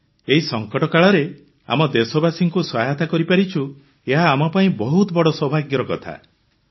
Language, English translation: Odia, Sir we are fortunate to be able to help our countrymen at this moment of crisis